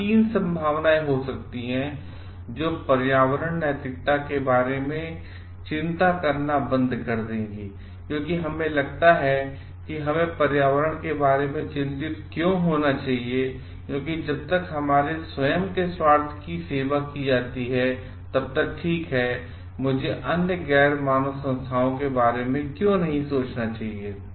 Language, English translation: Hindi, There could be 3 possibilities will stop worrying about environmental ethics, because we feel like why should we get worried about environment because as long as our own self interest is served, then its ok why should I think about other non human entities